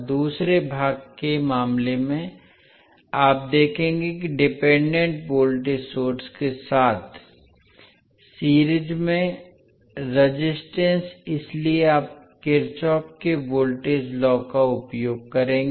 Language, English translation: Hindi, In case of second part you will see that the resistances in series with dependent voltage source so you will use Kirchhoff’s voltage law